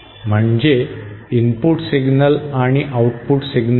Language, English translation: Marathi, That is say an input signal and an output signal